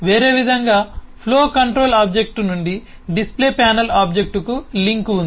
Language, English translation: Telugu, there is a link from the flow control object to the display panel object